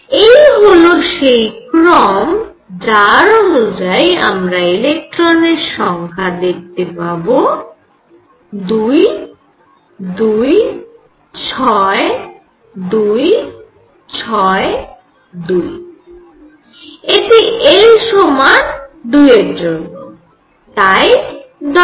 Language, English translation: Bengali, This is the order in which I will let us see the number of electrons 2, 2, 6, 2, 6, 2 this is l equals 2